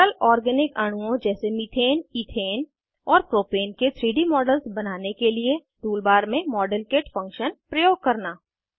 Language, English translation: Hindi, * Use the Modelkit function in the Tool bar to create 3D models of simple organic molecules like Methane, Ethane and Propane